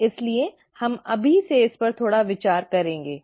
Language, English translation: Hindi, So we will come back to this a little from now